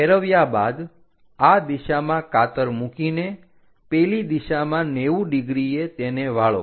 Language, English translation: Gujarati, After flipping making a scissors in this direction making a scissors in that direction folding it in the 90 degrees by 90 degrees